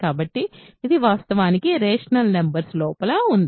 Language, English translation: Telugu, So, this is actually inside the rational numbers